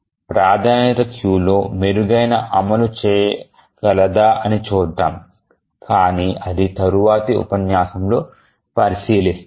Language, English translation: Telugu, So, let's see whether we can have a better implementation than a priority queue but that we will look at the next lecture